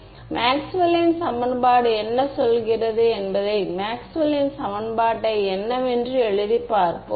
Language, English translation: Tamil, No let us just write down what Maxwell’s equation say Maxwell’s equation say